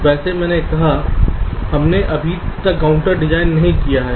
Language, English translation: Hindi, well, i have said we have not yet designed the counter